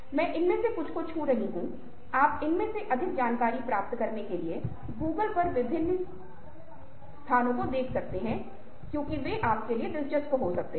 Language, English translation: Hindi, you can look of different places on google to find more information in these because they might be interesting for you